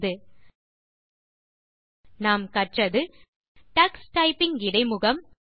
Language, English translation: Tamil, In this tutorial you will learn about Tux Typing and Tux typing interface